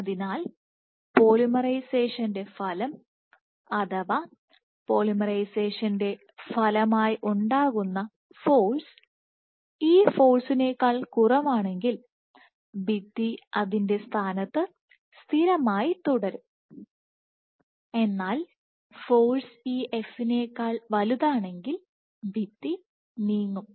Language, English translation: Malayalam, So, if the polymerization the effect of polymerization the force generated as a consequence of polymerization is less than this force then probably the wall will remain fixed in its position; however, if the force is greater than this f then the wall will move